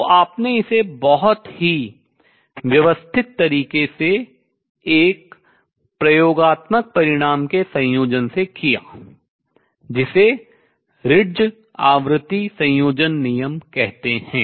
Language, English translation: Hindi, So, you done it very very systematic manner combining an experimental result call they Ritz frequency combination rule, and then really seeing how I could combine this